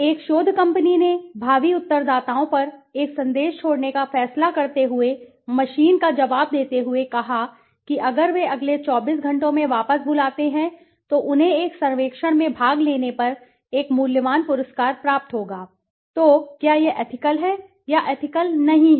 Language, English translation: Hindi, A research company decides to leave a message on prospective respondents answering machine telling them that if they call back in the next 24 hours they will receive a valuable prize if they take part in a survey, so is it ethical or not ethical